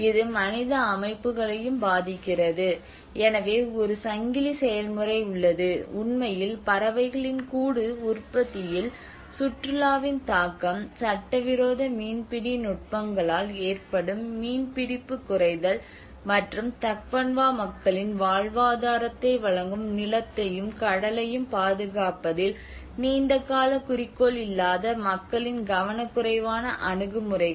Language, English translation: Tamil, It also affects the human systems, so there is a chain process, in fact, the impact of tourism on birdís nest production, the diminishing fish catch caused by illegal fishing techniques, and the careless attitudes of the people who do not have a long term interest in protecting the land and sea which provide a livelihood of the Tagbanwa people